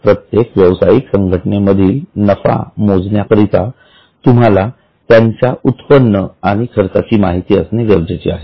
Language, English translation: Marathi, Now, for every entity to calculate the profit you will need to know the incomes and expenses